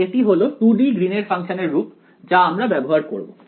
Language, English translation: Bengali, So, this is the form of the 2D Green’s function that we will use